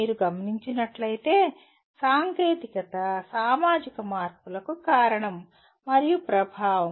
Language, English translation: Telugu, If you note, technology is both cause and effect of societal changes